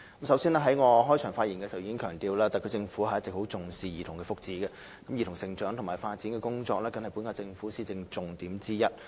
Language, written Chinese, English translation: Cantonese, 首先，我在開場發言中已強調，特區政府一直非常重視兒童福祉，而兒童成長及發展工作更是本屆政府的施政重點之一。, First as I already emphasized in my keynote speech the SAR Government has attached huge importance to childrens welfare all along and childrens growth and development is even an important policy area in the present - term Governments administration